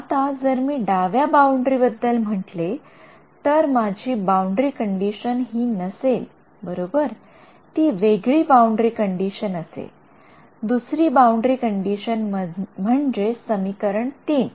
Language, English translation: Marathi, Now, if I were talking about the left boundary, my boundary condition that I impose will not be this one right, it will be other boundary condition, the other boundary condition meaning this guy, equation 3